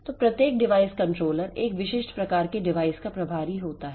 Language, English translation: Hindi, So, each device controller is in charge of a specific type of device